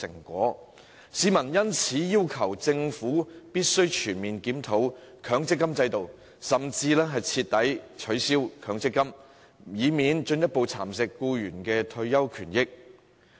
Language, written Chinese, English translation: Cantonese, 他們要求政府全面檢討強積金制度，甚至徹底取消強積金，以免僱員的退休權益受到進一步蠶食。, In order to prevent the retirement interests of employees from being further eroded members of the public demand the Government to comprehensively review the MPF System or even abolish it for good